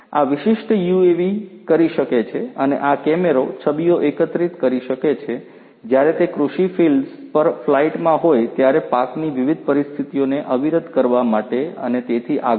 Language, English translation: Gujarati, This particular UAV can and this camera can collect images while it is on flight over agricultural fields to understand different crop conditions and so on and so forth